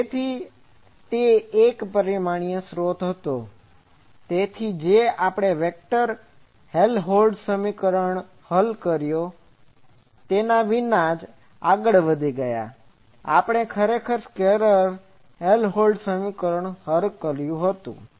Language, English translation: Gujarati, So, it was a one dimensional source that is why we got away without solving the vector Helmholtz equation, we actually solved the scalar Helmholtz equation